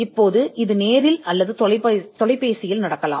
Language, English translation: Tamil, Now this could be in person or over phone